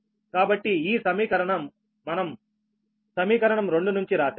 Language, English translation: Telugu, so this is that this equation we are writing from equation two